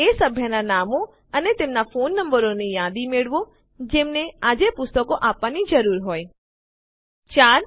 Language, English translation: Gujarati, Get a list of member names and their phone numbers, who need to return books today 4